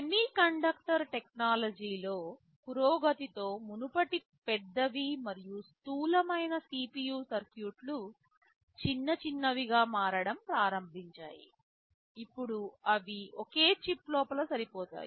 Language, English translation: Telugu, With the advancement in semiconductor technology earlier CPU circuits were very large and bulky; they have started to become smaller and smaller, and now they can fit inside a single chip